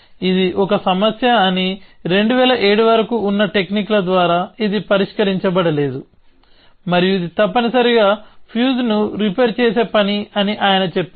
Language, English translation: Telugu, He says that and this was a problem, which could not be solved by the techniques that were there till 2007 and it is a task of repairing a fuse essentially